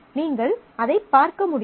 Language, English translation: Tamil, We have already seen that